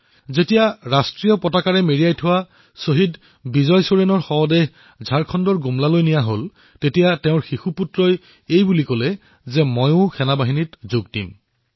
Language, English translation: Assamese, When the mortal remains of Martyr Vijay Soren, draped in the tricolor reached Gumla, Jharkhand, his innocent son iterated that he too would join the armed forces